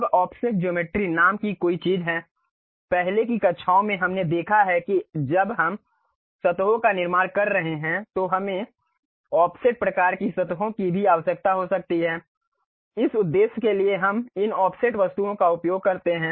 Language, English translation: Hindi, Now, there is something named Offset geometries; in the earlier classes we have seen when surfaces we are constructing we may require offset kind of surfaces also, for that purpose we use this Offset Entities